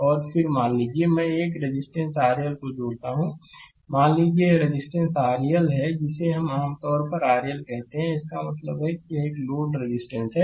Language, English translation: Hindi, And then suppose, I connect a resistance R L here suppose this resistance is R L we call generally R L means stands for a load resistance